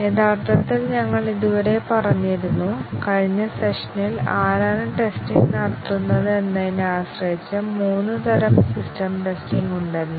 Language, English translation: Malayalam, Actually we had said so far, in the last session that there are three types of system testing, depending on who carries out the testing